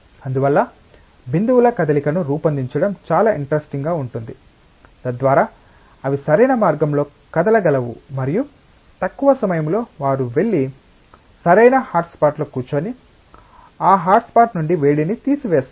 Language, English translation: Telugu, And so it is very interesting to design the movement of droplets, so that they can move in an optimal path and in the shortest time they go and sit on the right hotspot, and take away heat from that hotspot